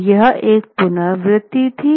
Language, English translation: Hindi, Now this is a repetition